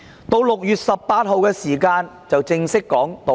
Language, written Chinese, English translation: Cantonese, 到了6月18日，她正式道歉。, It was not until 18 June that she formally apologized